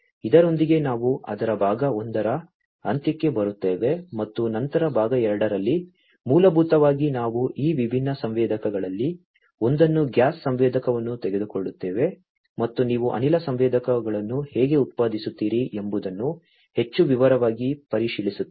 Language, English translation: Kannada, With this we come to an end of it the part 1 and then in part 2 basically we will go through the in more detail we will take up one of these different sensors the gas sensor and how you know you produce the gas sensors right